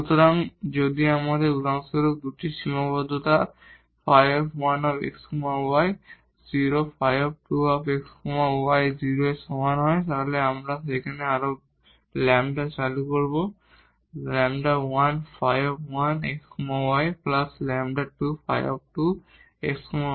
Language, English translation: Bengali, So, if we have for example, 2 constraint phi 1 x y is equal to 0 phi 2 x 2 y is equal to 0 then we will just introduce more lambdas there lambda 1 phi 1 then plus lambda 2 phi 2